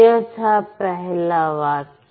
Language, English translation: Hindi, So, this is a sentence